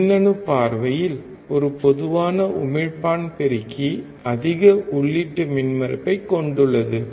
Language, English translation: Tamil, From electronics point of view, a common emitter amplifier has a high input impedance